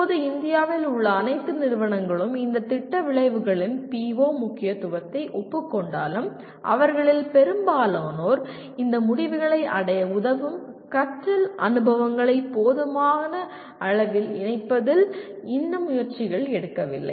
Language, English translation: Tamil, While all at present all institutions in India acknowledge the importance of these Program Outcomes, most of them are yet to make efforts in adequately incorporating learning experiences that facilitate attaining these outcomes